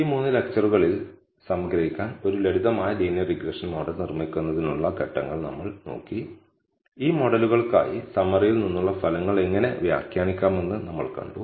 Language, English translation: Malayalam, So, to summarize in this three lectures, we looked at the steps, which are taken in building a simple linear regression model, we saw how to interpret the results from the summary, for these models